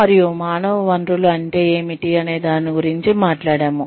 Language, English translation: Telugu, And, we have talked about, what human resources is